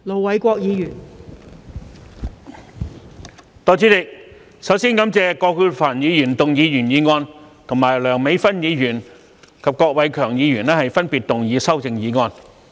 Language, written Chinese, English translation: Cantonese, 代理主席，首先感謝葛珮帆議員提出原議案，以及梁美芬議員和郭偉强議員提出修正案。, Deputy President first of all I would like to thank Ms Elizabeth QUAT for proposing the original motion and Dr Priscilla LEUNG and Mr KWOK Wai - keung for proposing the amendments